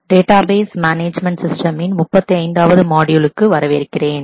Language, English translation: Tamil, Welcome to module 35 of Database Management Systems